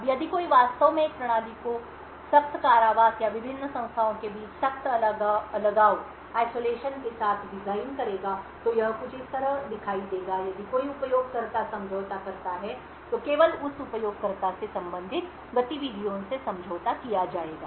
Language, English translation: Hindi, Now if one would actually design a system with strict confinement or strict isolation between the various entities it would look something like this, that is if a user gets compromised then only the activities corresponding to that user would get compromised